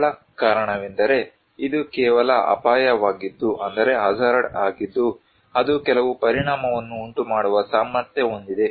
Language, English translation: Kannada, The simple reason is this is just simply a hazard which is potential to cause some effect